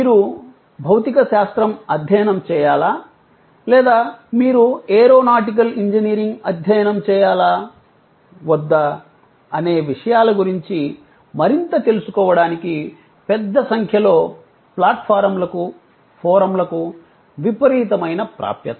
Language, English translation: Telugu, Tremendous access to huge number of platforms, forum to know more on more out of these things, that whether you should study physics or you should study aeronautical engineering